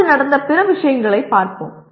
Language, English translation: Tamil, Now, let us look at other things that happened as of now